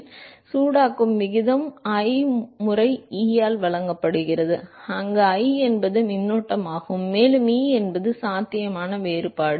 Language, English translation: Tamil, So, the rate at which is heated is given by I times E where I is the current, and E is the potential difference